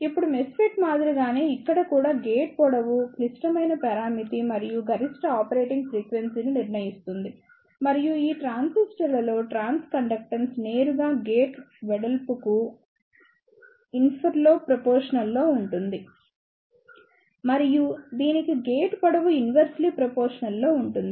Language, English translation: Telugu, Now, in the same way as it was the case of as MESFET, here also the gate length is the critical parameter and this decides the maximum operating frequency and in these transistors, the trans conductance is directly proportional to the gate width and inversely proportional to the gate length